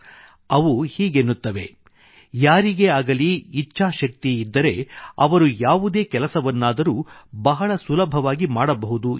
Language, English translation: Kannada, He says that if anyone has will power, one can achieve anything with ease